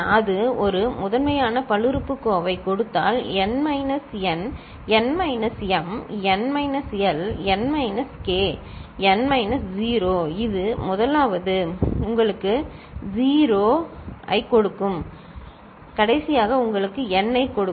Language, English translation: Tamil, Then if that gives a primitive polynomial, then n minus n, n minus m, n minus l, n minus k, n minus 0 right which the first one will give you 0 and the last one will give you n